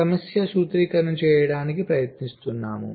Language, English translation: Telugu, so lets try to see the problem formulation